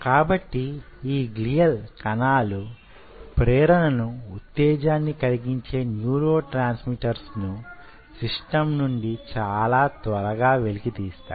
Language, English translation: Telugu, so these glial cells pulls away those excitatory neurotransmitters from the system very fast